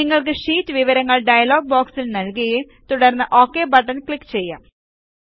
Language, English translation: Malayalam, You can enter the sheet details in the dialog box and then click on the OK button